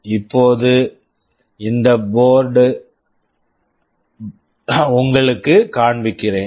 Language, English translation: Tamil, Now, let me show you this board